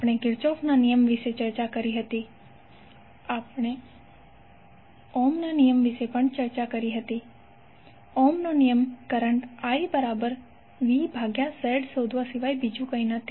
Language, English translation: Gujarati, We discussed about the Kirchhoff’s law, we also discussed Ohm’s law, Ohm’s law is nothing but the finding out current I that is V by Z